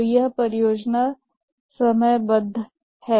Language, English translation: Hindi, So that is project scheduling